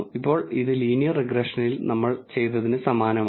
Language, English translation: Malayalam, So now, this is similar to what we have done in linear regression